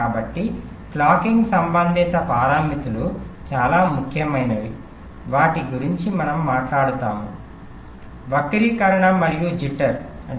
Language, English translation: Telugu, so there are a few very important clocking related parameters that we shall be talking about, namely skew and jitter